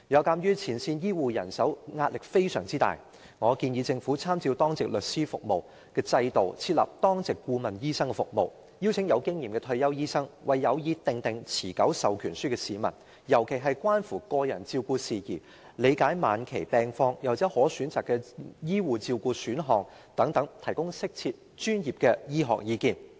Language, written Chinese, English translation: Cantonese, 鑒於前線醫護人手壓力非常大，我建議政府參照當值律師服務的制度，設立當值顧問醫生服務，邀請具經驗的退休醫生，為有意訂立持久授權書的市民，尤其在關乎個人照顧、對晚期病況的理解及可選擇的醫護照顧選項等事宜上，提供適切和專業的醫學意見。, Given the enormous pressure on the frontline health care staff I suggest that the Government draw reference from the Duty Lawyer Service system and set up a duty consultant service . It can invite experienced retired doctors to offer appropriate and professional medical advice to members of the public who intend to draw up an enduring power of attorney especially on matters relating to personal care interpretation of illness at an advanced stage and available options of health care